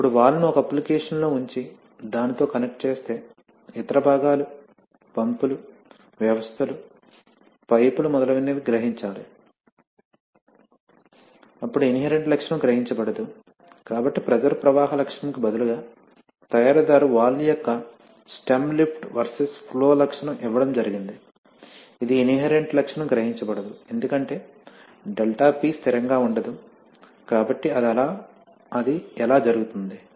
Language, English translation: Telugu, Now it turns out one must realize that if you actually put the valve into an application and connect it up with, you know other components, pumps, systems, pipes etc then the inherent characteristic will not be realized, so the pressure flow characteristic of the, of the, actually these, rather the stem lift versus flow characteristic of the valve which is provided by the manufacturer, which is the inherent characteristic will not be realized because of the fact that ∆P will not remain constant, so how does that happen